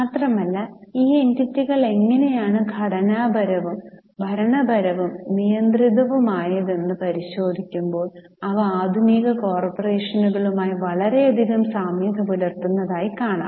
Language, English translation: Malayalam, Moreover, when we examine how these entities were structured, governed and regulated, we find that they bear many similarities to modern day corporations